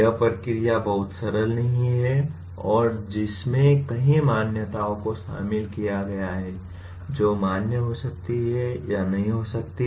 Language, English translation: Hindi, That process is not very simple and which involves many assumptions which may be valid or not valid